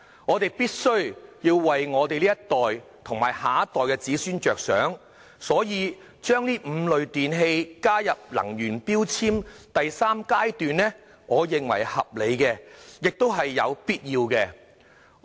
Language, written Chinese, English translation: Cantonese, 我們必須為這一代和下一代着想，因此，把這5類電器納入能源效益標籤計劃第三階段，我認為合理而必要。, For the benefit of this generation and the next I think it is reasonable and necessary to include these five types of electrical products in the third phase of Mandatory Energy Efficiency Labelling Scheme